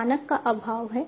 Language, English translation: Hindi, So, there is lack of standard